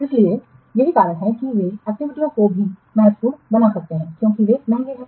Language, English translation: Hindi, So, activities can be also critical because they are very expensive